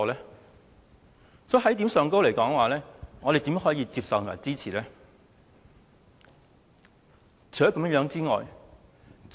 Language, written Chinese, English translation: Cantonese, 在這一點上，我們怎可以接受及支持有關安排呢？, On this account how can we accept and support the relevant arrangement?